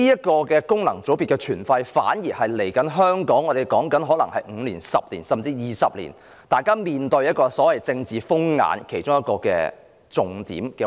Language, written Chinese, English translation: Cantonese, 其實，功能界別的存廢，可能是香港接下來的5年、10年，甚至20年要面對的所謂"政治風眼"的其中一環。, In fact the retention or otherwise of FC may become part of the so - called political turmoil that Hong Kong will be facing in the next 5 10 or even 20 years